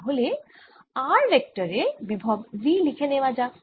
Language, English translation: Bengali, so let us write the potential v at r vector